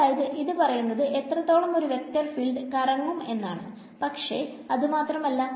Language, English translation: Malayalam, So, it is telling me how much a vector field swirls, but that is not all